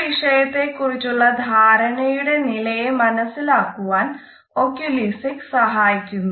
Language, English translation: Malayalam, Oculesics help us to understand what is the level of comprehension of a particular topic